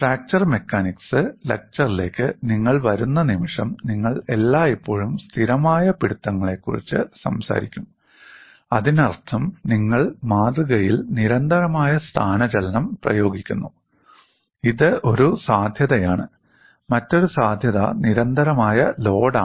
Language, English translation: Malayalam, The moment you come to fracture mechanics literature, you always talk about fixed grips; that means, we have constant displacement applied to the specimen, this is one possibility, another possibility is constant load, why do we do that